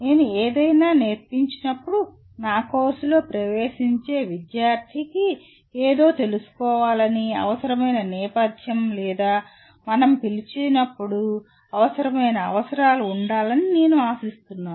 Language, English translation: Telugu, When I teach something, I am expecting the student entering into my course to know something, to have the required background or required prerequisites as we call it